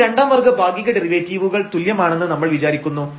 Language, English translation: Malayalam, So, these are the first order partial derivatives